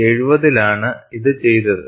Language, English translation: Malayalam, This was done in 1970